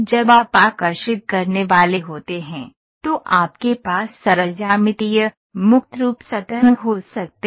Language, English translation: Hindi, When you are supposed to draw, you can have simple geometries, free form surfaces